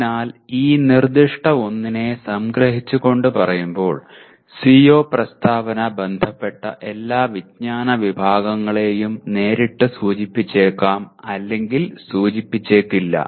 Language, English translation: Malayalam, So the summarizing this particular one the CO statement may or may not directly indicate all the concerned knowledge categories